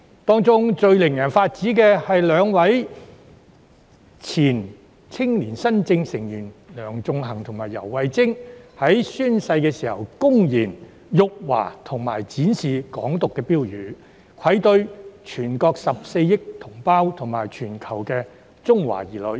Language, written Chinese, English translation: Cantonese, 當中最令人髮指的，是兩名前青年新政成員梁頌恆和游蕙禎，在宣誓時公然辱華及展示"港獨"標語，愧對全國14億同胞及全球中華兒女。, The most outrageous incident was that former members of YoungSpiration Sixtus LEUNG and YAU Wai - ching blatantly insulted China and displayed Hong Kong independence slogan . They should be ashamed to face the 1.4 billion Mainland compatriots and Chinese people worldwide